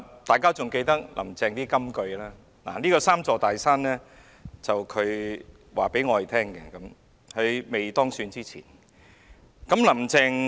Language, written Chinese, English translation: Cantonese, 大家仍記得"林鄭"的金句，而這"三座大山"是她在當選前告訴我們的。, We still remember the famous lines of Carrie LAM and these three big mountains were what she told us before she was elected . Chief Executive Carrie LAM has a number of famous lines